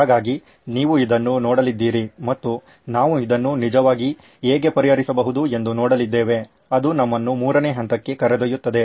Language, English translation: Kannada, So you are going to look at this and see how might we actually solve this, which leads us to the third stage which is solution